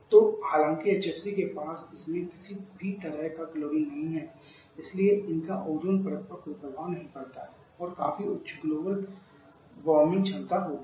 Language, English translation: Hindi, Though HFC does not have any kind of chlorine in this so they do not have any effect on the Ozone Layer but that has significantly high global warming potential